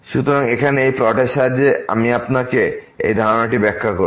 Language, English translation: Bengali, So, let me just explain you this concept with the help of this plot here